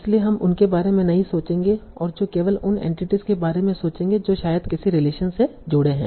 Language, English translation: Hindi, You will only bother about those entities that are probably connected by some relation